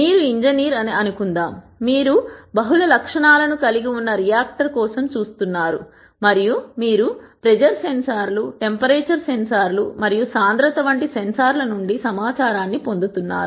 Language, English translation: Telugu, Let us consider that you are an engineer and you are looking at a reactor which has multiple attributes and you are getting information from sensors such as pressure sensors, temperature sensors and density and so on